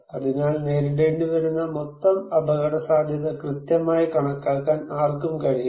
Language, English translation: Malayalam, So, no one can calculate precisely the total risk to be faced